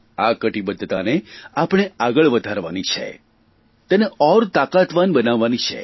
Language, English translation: Gujarati, We have to carry forward this commitment and make it stronger